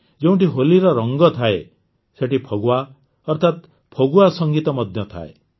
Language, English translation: Odia, Where there are colors of Holi, there is also the music of Phagwa that is Phagua